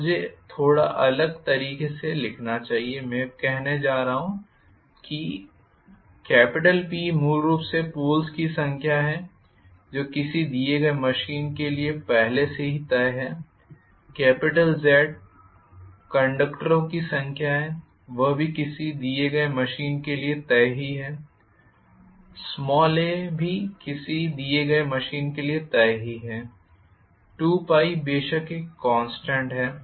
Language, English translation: Hindi, So let me write this a little differently I am going to say P is actually the number of poles which is already decided for a given machine z is the number of conductors which is also decided for a given machine a is also decided for a given machine 2 pie of course is a constant so, I am going to write like this multiplied by Phi omega